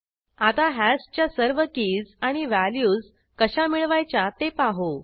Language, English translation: Marathi, Now, let us see how to get all keys and values of hash